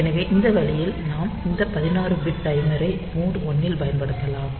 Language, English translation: Tamil, So, this way we can use this timer 16 bit timer in mode 1